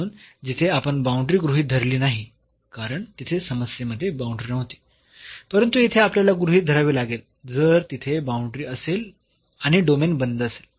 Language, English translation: Marathi, So, where we have not considered the boundary because, there were no boundaries in the problem, but this here we have to if there is a boundary the domain is closed